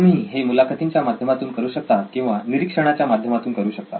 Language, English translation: Marathi, You can either do it through interviews, through observations, observations are much better way